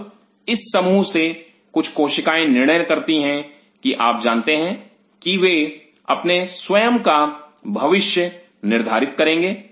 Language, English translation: Hindi, Now from this mass some of the cells decided that you know they will decide their own fate